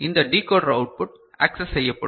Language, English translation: Tamil, So, this decoder output will be accessed ok